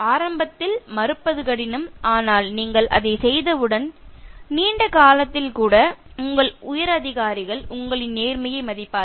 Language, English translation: Tamil, It is difficult to refuse initially, but once you do it, in the long run, even your higher authorities will respect you for your integrity